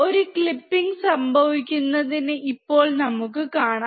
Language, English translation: Malayalam, And now we can see there is a clipping occurring